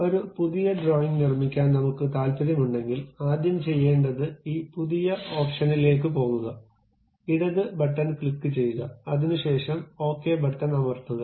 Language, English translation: Malayalam, If we are interested in constructing a new drawing, the first part what we have to do is go to this new option, click means left button click, part by clicking that, then OK